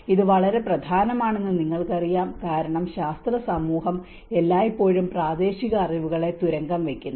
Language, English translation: Malayalam, You know this is very important because the scientific community always undermines the local knowledge